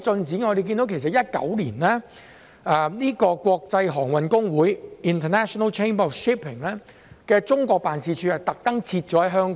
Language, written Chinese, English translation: Cantonese, 在2019年，國際航運公會特意把中國辦事處設於香港。, In 2019 the International Chamber of Shipping intentionally chose to establish its China Liaison Office in Hong Kong